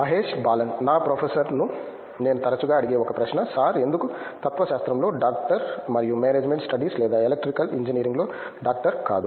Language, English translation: Telugu, One question I used to ask my professor often is sir why is it a doctor in philosophy and not doctor in management studies or electrical engineering